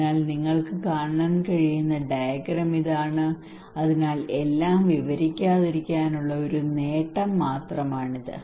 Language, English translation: Malayalam, So this is the diagram you can see and so this is just a glimpse to give you not to narrate everything